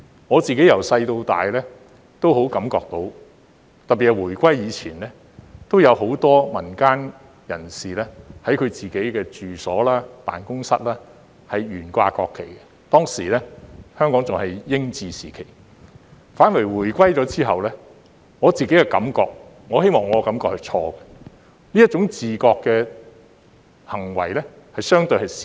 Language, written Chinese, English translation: Cantonese, 我自己從小到大也深感到，特別是回歸前，有很多民間人士在他們的住所和辦公室懸掛國旗，當時香港仍是英治時期，反而回歸後，我感覺——我希望我的感覺是錯的——這種自覺的行為反而減少。, Since I was a child I have a deep impression that many people in the community would display the national flags in their homes and offices especially before the reunification when Hong Kong was still under British rule . But after the reunification I feel―I hope I am wrong―that fewer people have done this of their own volition